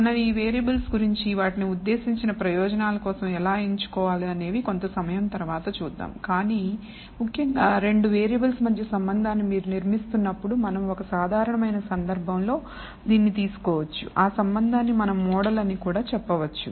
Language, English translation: Telugu, We will de ne these variables and how you choose them for the intended purpose a little later, but essentially we are building a relationship between 2 variables you can take it in the simplest case and that relationship we also call it as a model